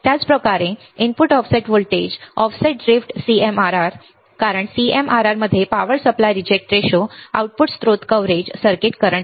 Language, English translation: Marathi, Same way input offset voltage, voltage drift right CMRR because in CMRR ps in power supply rejection ratio output source of coverage circuit current